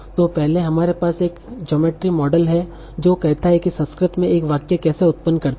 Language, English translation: Hindi, So first we have a generative model that says how do I generate a sentence in Sanskrit